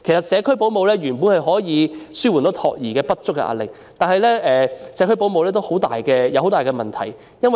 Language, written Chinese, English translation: Cantonese, 社區保姆本來可以紓緩託兒服務不足的壓力，但這方面有很大問題。, Home - based child carers could have alleviated the pressure of inadequate childcare services but there are considerable problems in this regard